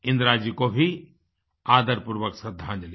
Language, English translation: Hindi, Our respectful tributes to Indira ji too